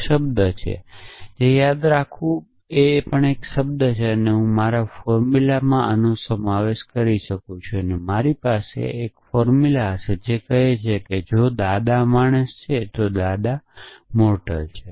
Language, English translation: Gujarati, That is a term remember that is also a term I could have substituted this in my formula, then I would have formula which says if grandfather is the man, then grandfather is mortal